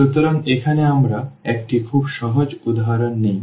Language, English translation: Bengali, So, here we take a very simple example